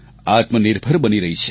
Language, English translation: Gujarati, It is becoming self reliant